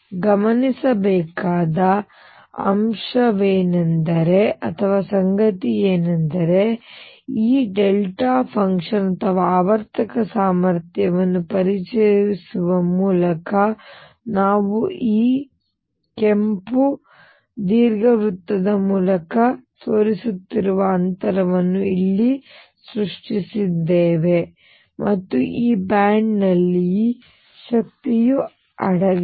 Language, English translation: Kannada, What is noticeable is that by introducing this delta function or periodic potential we have created a gap here which I am showing by this red ellipse and energy is lie in these bands